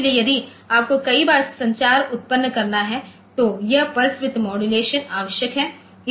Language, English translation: Hindi, So, if you have to generate many times communication also this pulse width modulation is necessary